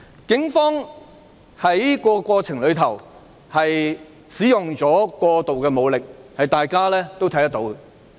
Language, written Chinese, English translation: Cantonese, 警方在過程中使用過度武力，這是大家有目共睹的。, The Police have used excessive force in the process and this is evident